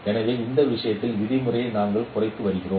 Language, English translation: Tamil, So we are minimizing the norm of this subject to this